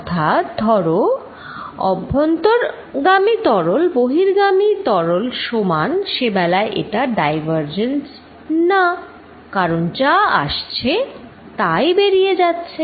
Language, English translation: Bengali, So, suppose fluid coming in is equal to fluid going out in that case I would say it is not really diverging whatever comes in goes out